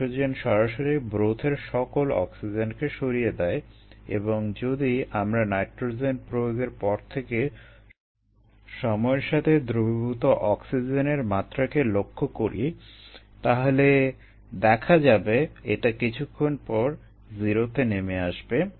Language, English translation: Bengali, nitrogen physically strips the broth of all the oxygen and if we follow the dissolved oxygen level with time after nitrogen is introduced, then it drops down to zero after sometime